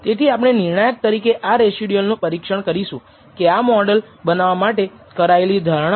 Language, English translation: Gujarati, So, we will examine the residual to kind of judge, whether the assumptions were made in developing the model are acceptable or not